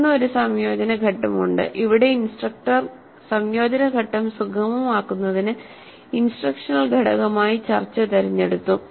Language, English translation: Malayalam, Then there is an integration phase and here the instructor has chosen to use discussion as the instructional component to facilitate the integration phase